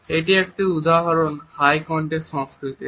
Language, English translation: Bengali, Here is an example of a high context culture